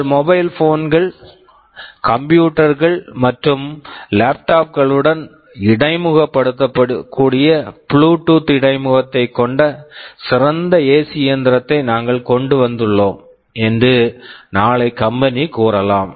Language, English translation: Tamil, Tomorrow the company says that we have come up with a better AC machine that has a Bluetooth interface, which can interface with your mobile phones and computers and laptops